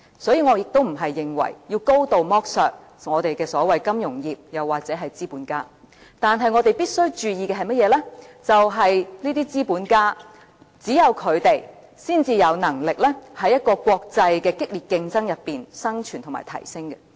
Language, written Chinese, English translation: Cantonese, 因此，我亦不是認為要高度剝削金融業或資本家，但我們必須注意的是，只有這些資本家，才有能力在國際的激烈競爭中生存及提升。, I too do not advocate any heavy exploitation of the financial industries and capitalists . Yet we must note that these capitalists are the only ones who can survive and upgrade themselves in the fierce global competition